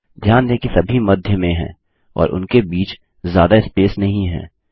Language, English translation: Hindi, Notice that they are all centered and dont have a lot of space in between them